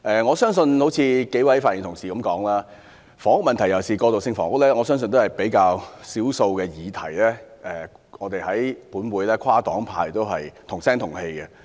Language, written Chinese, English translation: Cantonese, 正如數位發言的同事所說，房屋問題，尤其是過渡性房屋，我相信是較少爭議的議題，能獲立法會內跨黨派"同聲同氣"支持。, As Members have already spoken housing issue in particular transitional housing should be a less controversial issue that a consensus can be reached across the political spectrum in the Legislative Council